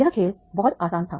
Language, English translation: Hindi, So this game was very easy